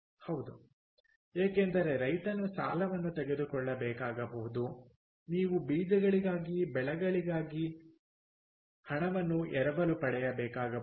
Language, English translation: Kannada, yeah, because the farmer may have to take up loan, you have to, may have to borrow money for crops, for seeds